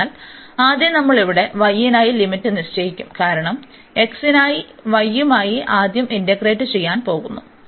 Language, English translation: Malayalam, So, first we will put the limit here for y, because we are in going to integrate first with respect to y for x for instance in this case now